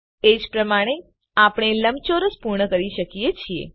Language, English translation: Gujarati, Similarly we can complete the rectangle